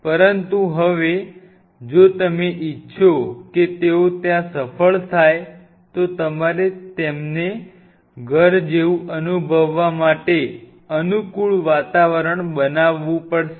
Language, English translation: Gujarati, but now, if you want them to succeed there, you have to create a conducive environment for them to feel at home